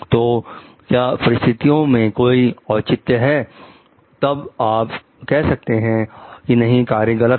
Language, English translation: Hindi, So, was there any justification in the circumstances then, you tell no the act was wrong